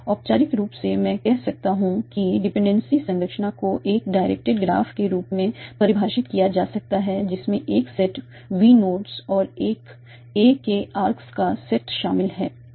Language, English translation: Hindi, So formally I can say that a dependency structure can be defined as a directed graph consisting of a set v of nodes in a set of a arcs